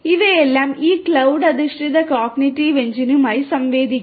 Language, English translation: Malayalam, All of which are interacting with this cloud based cognitive engine